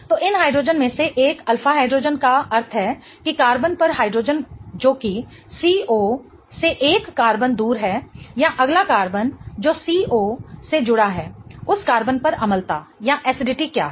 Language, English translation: Hindi, So, one of these hydrogens, alpha hydrogen meaning the hydrogen on the carbon that is one carbon away from the C double bond, or the next carbon that is attached to the C double bondo, what is the acidity on that carbon